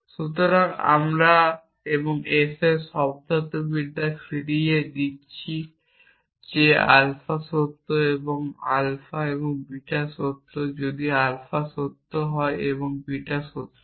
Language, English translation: Bengali, So, we are return the semantics of and s saying that alpha is true alpha and beta is true if alpha is true and beta is true